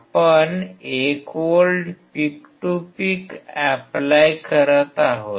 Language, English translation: Marathi, We are applying 1 volts, peak to peak